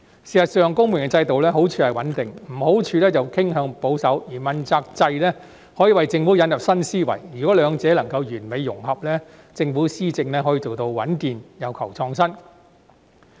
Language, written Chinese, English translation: Cantonese, 事實上，公務員制度的好處是穩定，壞處是傾向保守，而問責制可以為政府引入新思維，如果兩者能夠完美融合，政府施政便可以做到穩健又求創新。, In fact a merit of the civil service system is stability but a shortcoming is that it is prone to conservatism . In contrast the accountability system may bring new ideas into the Government . If the two systems can integrate with each other perfectly the Government may achieve stability and innovation in implementing policies